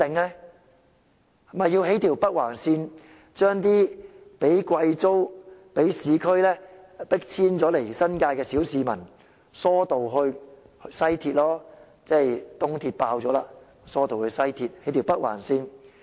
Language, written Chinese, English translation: Cantonese, 那便要興建一條北環線，把那些被貴租及被市區重建迫遷往新界的小市民疏導至西鐵線，因為東鐵線已爆滿。, Then there will be the need for the Northern Link to divert common people who have been forced to move to the New Territories by high rents and urban development to the West Rail Line because the East Rail Line is overloaded already